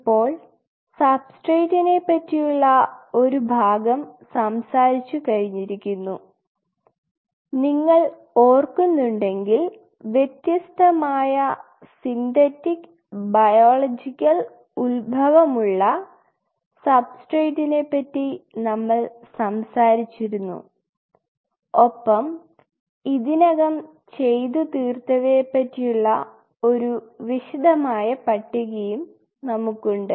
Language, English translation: Malayalam, Now part of its substrate we have talked if you remember this we have talked about different kind of Synthetic and Biological Origin substrate synthetic and biological origin and we have this whole detailed list what we have already worked out